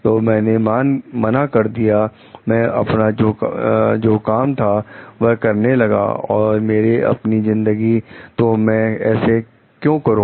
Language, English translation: Hindi, So, I said not, I am going to my own job or my own life, so why should I do it